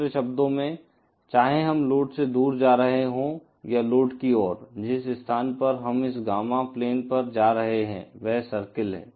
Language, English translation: Hindi, In other words whether we are moving away from the load or towards the load, the locus that we will be traversing on this Gamma plane is that of a circle